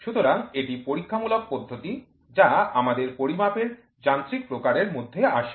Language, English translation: Bengali, So, this is experimental method which falls under mechanism type of measurement we do